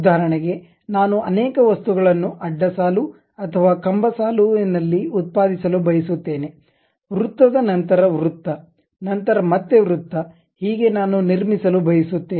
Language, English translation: Kannada, For example, I want to multiply or produce many objects in a row or column; something like circle after circle after circle I would like to construct